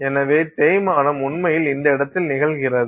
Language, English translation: Tamil, So, the wear is actually occurring at this place